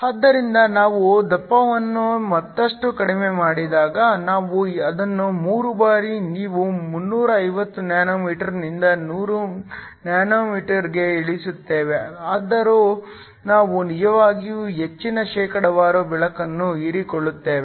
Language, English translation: Kannada, So, when we reduce the thickness further, so we actually take it down where on 3 times you go from 350 nm to 100 nm, still we get a really high percentage of light that is absorbed